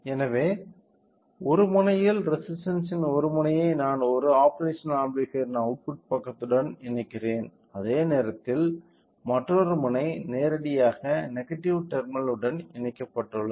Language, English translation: Tamil, So, one end of the one end the resistor I am connecting it to the output side output side of an operational amplifier whereas, other end it is directly connected to the negative terminal